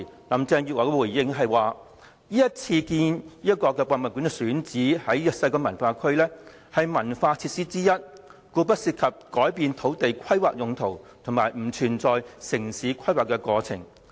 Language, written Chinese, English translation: Cantonese, 林鄭月娥當時回應指出，故宮館選址西九文化區，屬於一項文化設施，故不涉及改變土地規劃用途及城市規劃程序。, Carrie LAM responded that as HKPM to be built in WKCD was a cultural facility the issue of changing the planned land use of the site and the procedures of town planning did not exist